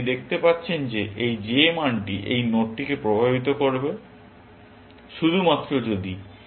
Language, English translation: Bengali, You can see that this j value will influence this node, only if it is better than alpha 3